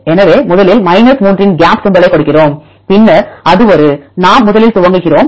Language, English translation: Tamil, So, first we give a gap symbol of 3, then it is a, we initialize first